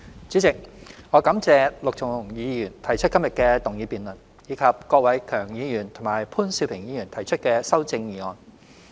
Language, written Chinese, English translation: Cantonese, 主席，我感謝陸頌雄議員提出今日的動議辯論，以及郭偉强議員和潘兆平議員提出的修正案。, President I thank Mr LUK Chung - hung for moving this motion for debate today and Mr KWOK Wai - keung and Mr POON Siu - ping for proposing their amendments